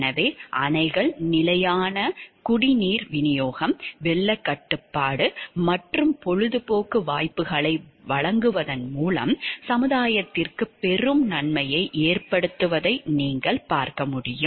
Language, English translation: Tamil, So, what you can see dams often lead to a great benefit to the society by providing stable supplies of drinking water, flood control and recreational opportunities